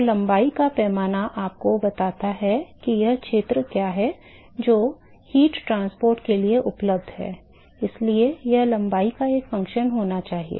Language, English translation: Hindi, So, the length scale tells you what is the area that is available for heat transport So, it has to be a function of the length